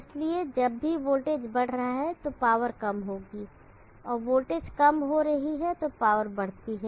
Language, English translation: Hindi, So whenever the voltage is increasing the power is decreasing and the voltage is decreasing power increases